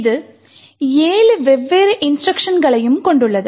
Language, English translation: Tamil, It comprises of 7 different instructions